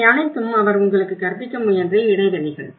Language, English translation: Tamil, These are all the gaps he tried to teach you